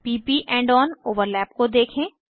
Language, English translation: Hindi, Now to p p end on overlap